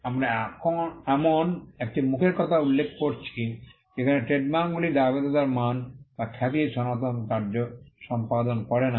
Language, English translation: Bengali, We are referring to a face where trademarks no longer perform the traditional function of liability quality or reputation